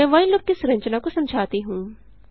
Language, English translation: Hindi, Let me explain the structure of while loop